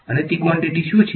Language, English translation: Gujarati, And what are those quantities